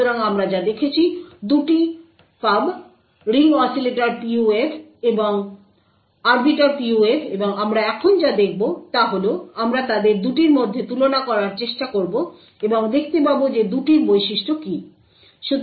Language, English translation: Bengali, So, what we have seen; 2 pubs, the Ring Oscillator PUF and Arbiter PUF and what we will see now is we will try to compare 2 of them and see what are the characteristics of the two